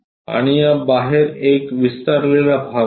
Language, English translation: Marathi, And there is an extension outside of this